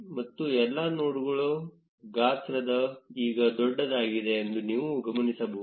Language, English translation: Kannada, And you will notice that the size of all the nodes is now bigger